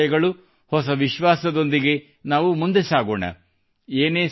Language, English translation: Kannada, With new hopes and faith, we will move forward